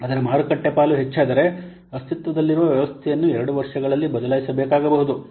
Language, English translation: Kannada, If it's a market share increases, then the existing system might need to be replaced within two years